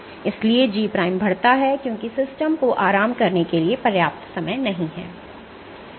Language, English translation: Hindi, So, G prime increases because the system does not have enough time to relax ok